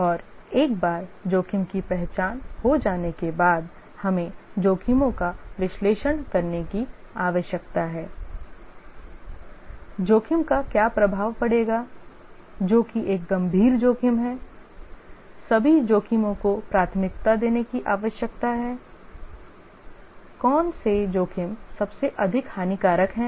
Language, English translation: Hindi, And once the risks have been identified, need to analyze the risks, what will be the impact of the risk, which is a serious risk, need to prioritize all the risks that which risks are the most damaging and then the risk planning